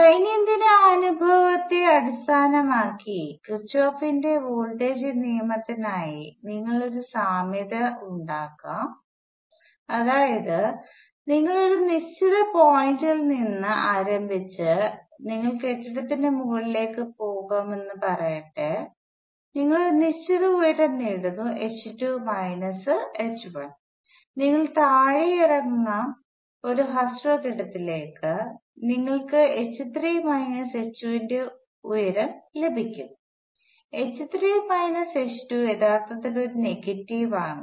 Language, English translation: Malayalam, We can also make an analogy for Kirchhoff’s voltage law based on everyday experience that is let say you start from a certain point and you go up on top of building, you gain a certain height h 2 minus h 1 may be you will come down to a shorter building and you will gain a height of h 3 minus h 2; h 3 minus h 2 is actually a negative